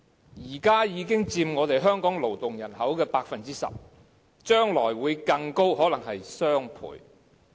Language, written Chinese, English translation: Cantonese, 現時外傭已經佔香港勞動人口 10%， 將來會更多，可能是雙倍。, At present foreign domestic helpers already account for 10 % of our workforce and their number is expected to rise or even double in the future